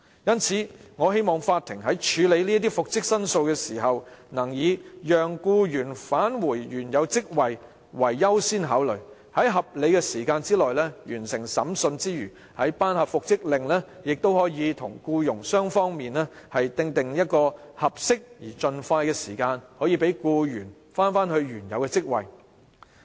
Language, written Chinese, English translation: Cantonese, 因此，我希望法庭在處理復職申訴時，能以讓僱員返回原有職位為優先考慮，除了在合理的時間內完成審訊，作出復職命令時亦應與僱傭雙方訂定合適時間安排，讓僱員盡快返回原職。, Therefore I hope the court will accord priority to reinstating the employee to his original post in processing reinstatement claims . Apart from completing the trial within a reasonable period of time the court should when making an order for reinstatement also ask the employer and employee to make adequate time arrangement so that the employee may return to his original post as soon as possible . Let me take schools as the example again